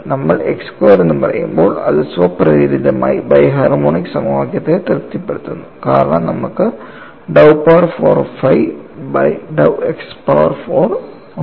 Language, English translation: Malayalam, When you say x squared, it automatically satisfies the bi harmonic equation, because you have dou power 4 phi by dow x power 4 and so on